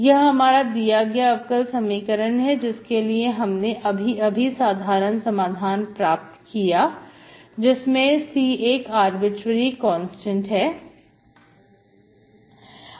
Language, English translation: Hindi, This is the given differential equation whose general solution is given by this where C is an arbitrary constant